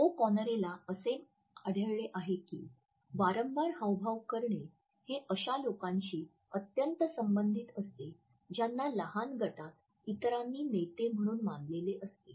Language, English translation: Marathi, O’Conner has found that frequent gesturing is highly correlated with people who were perceived by others to be leaders in small groups